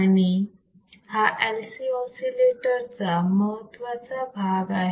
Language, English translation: Marathi, , Wwhich is an important part of an LC oscillator